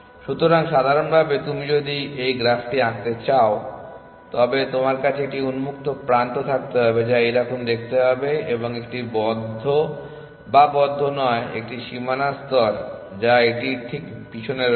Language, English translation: Bengali, So, in general if you want to draw this graph you would have an open which is to be seen like this followed by a closed not closed a boundary layer which is just behind it